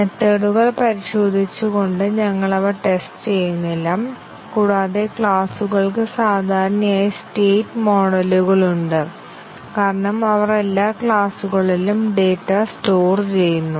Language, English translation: Malayalam, We are not testing those just by testing the methods and also the classes typically have state models, since they store data every class stores data the classes